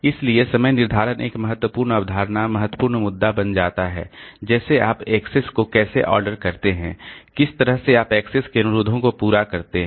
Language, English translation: Hindi, So, scheduling becomes an important concept, important issue like how do you know order the accesses, how in which order you service the access requests